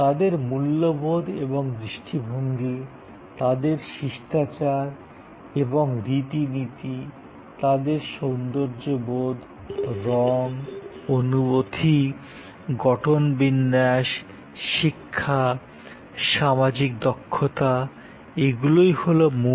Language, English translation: Bengali, Their values and attitudes, their manners and customs their sense of esthetics, color, feel, texture, education social competency that is the central block